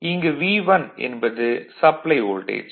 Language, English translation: Tamil, This voltage V 1, this voltage is V 2